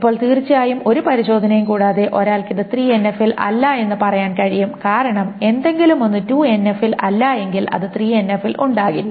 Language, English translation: Malayalam, Without any testing, one can say this is not in 3NF because if something is not in 2NF, it cannot be in 3NF